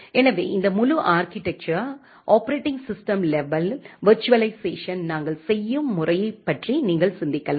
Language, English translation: Tamil, So, this entire architecture you can just think of the way we do the operating system level virtualization